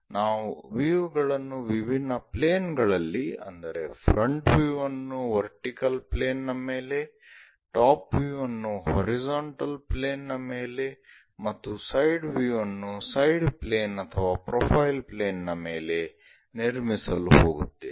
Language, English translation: Kannada, The different planes are what we are going to shine a light, so that we are going to construct such kind of front views on to the vertical planes, top views on to a horizontal plane, and side views on to this side planes or profile planes